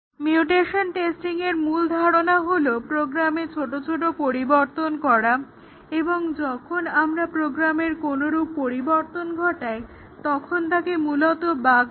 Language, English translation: Bengali, The main idea behind mutation testing is we make small changes to the program and when we changed a program that essentially means a bug